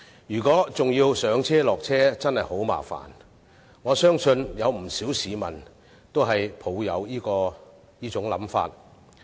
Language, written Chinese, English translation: Cantonese, 如果要上車、下車，真的很麻煩，而我相信不少市民均抱持這種想法。, It is really inconvenient having to alight and board the train and I believe this is the view of many people